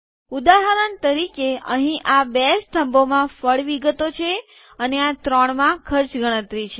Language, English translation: Gujarati, For example, here these two columns have fruit details and these three have cost calculations